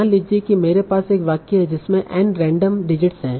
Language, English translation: Hindi, So suppose I have a sentence that contains N random digits